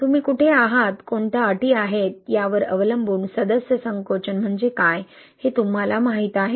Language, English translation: Marathi, Depending on where you are, what are the conditions, right, you know what is the member shrinkage, right